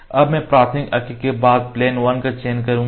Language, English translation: Hindi, Now we will select the plane again it is select plane 2